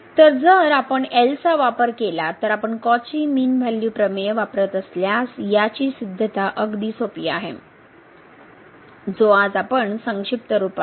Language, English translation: Marathi, So, the proof is pretty simple if we use the if you use the Cauchy mean value theorem so, which was summarize today